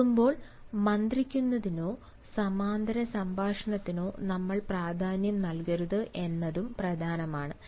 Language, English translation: Malayalam, during listening it is also important that we do not give importance to whisperings or parallel talks